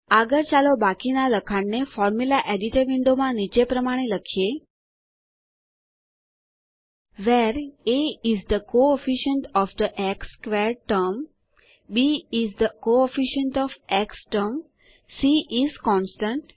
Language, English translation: Gujarati, Next let us type the rest of the text as follows in the Formula Editor window: Where a is the coefficient of the x squared term, b is the coefficient of the x term, c is the constant